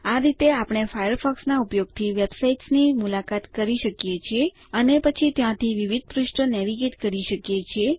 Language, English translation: Gujarati, This is how we can visit websites using Firefox and then navigate to various pages from there